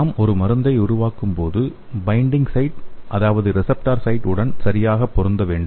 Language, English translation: Tamil, So when we make a drug we should exactly match with the binding site that is the receptor site